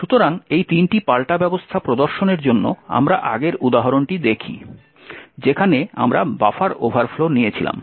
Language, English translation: Bengali, So, to demonstrate these three countermeasures we look at the previous example that we took of the buffer overflow